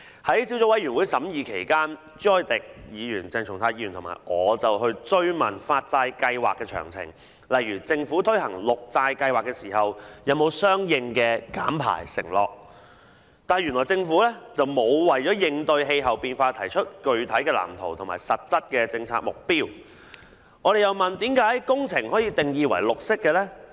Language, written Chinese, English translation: Cantonese, 在小組委員會審議期間，朱凱廸議員、鄭松泰議員和我追問發債計劃的詳情，例如政府推行綠色債券計劃時是否有相應的減排承諾，但原來政府並無為應對氣候變化提出具體藍圖及實質的政策目標；我們又問，甚麼工程可以定義為"綠色"呢？, During the scrutiny by the Subcommittee Mr CHU Hoi - dick Dr CHENG Chung - tai and I questioned the details of the bond programme such as whether the Government has any emission reduction target while launching the Green Bond Programme . It turned out that the Government actually did not have any substantive blueprint and policy objectives to combat climate change . Then we asked what projects could be defined as green?